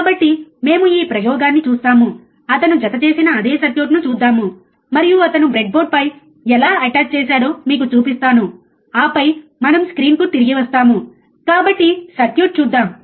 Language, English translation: Telugu, So, we will see this experiment, let us see the same circuit he has attached, and I will show it to you how he has attached on the breadboard, and then we come back to the to the screen alright so, let us see the circuit